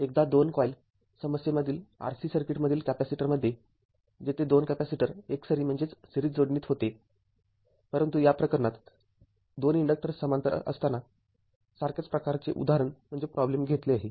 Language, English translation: Marathi, The once ah for capacitor case r c circuit will 2 point problem where 2 capacitors where in series, but in this case a similar type of problem is taken where in 2 inductors are in parallel